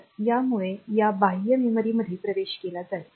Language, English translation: Marathi, So, it will be accessing this external memory